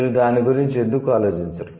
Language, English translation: Telugu, Why don't you think about it